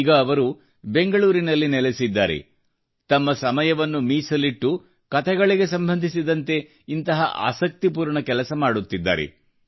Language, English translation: Kannada, Presently, he lives in Bengaluru and takes time out to pursue an interesting activity such as this, based on storytelling